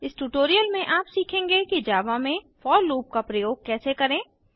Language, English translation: Hindi, In this tutorial, you will learn how to use the for loop in Java